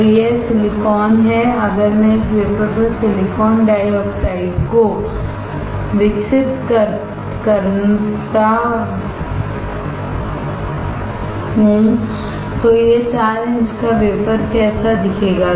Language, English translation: Hindi, So, this is silicon if I grow silicon dioxide on this wafer, then how this 4 inch wafer will look like